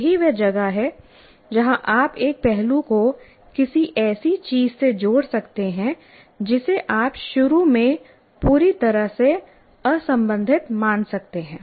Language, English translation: Hindi, That's where you can relate one aspect to something you may consider initially totally unrelated